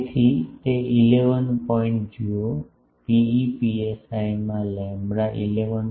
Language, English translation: Gujarati, So, it will be 11 point see rho e psi into lambda 11